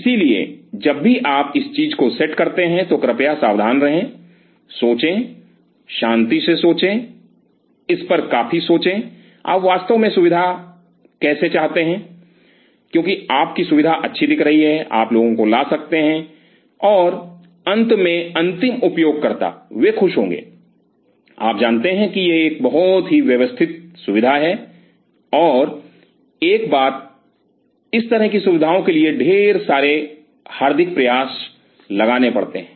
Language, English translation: Hindi, So, please be careful whenever you set up the thing think, think calm quite think over it how you really want the facility, because your facility looks nice you can bring people and finally, the end user they will be happy you know this is a very systematic facility, and one more thing these kind of facilities takes a lot of soul to be put there